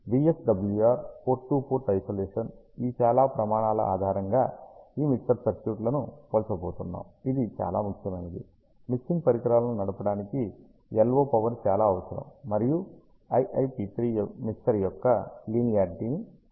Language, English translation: Telugu, We are going to compare all these mixer circuit types based on following criteria which is VSWR, port to port isolation, which we saw is very very important, LO power required which is used to drive the mixing devices, and IIP3 which indicates the linearity of the mixer